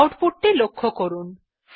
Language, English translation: Bengali, Now observe the output